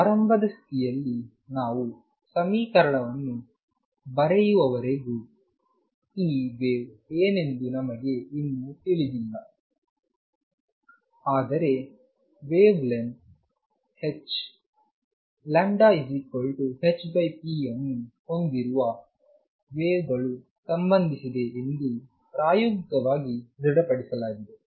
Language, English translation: Kannada, And we do not yet know what this wave is until we write equation in start interpreting, but experimentally it is established that there is a wave associated which has a wavelength lambda which is h over p